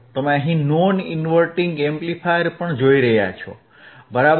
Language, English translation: Gujarati, Here I have am using again a non inverting amplifier, right again